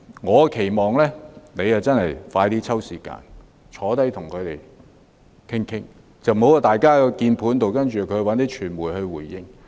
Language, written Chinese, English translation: Cantonese, 我期望局長盡快抽時間與他們商談，而不要透過鍵盤溝通或傳媒來回應。, I hope that the Secretary will spare some time to discuss with them personally as soon as possible instead of responding behind his computer screen or through the media